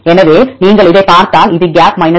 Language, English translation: Tamil, So, if you see this one this is gap 3